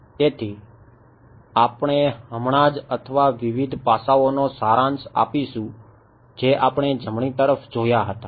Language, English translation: Gujarati, So, we will just or to summarise the various aspects that we looked at right